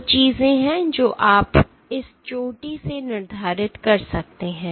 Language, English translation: Hindi, There are two things that you can determine from this peak